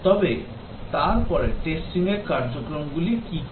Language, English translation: Bengali, But then, what are the activities for testing